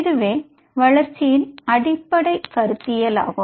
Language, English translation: Tamil, So this is the fundamental developmental paradigm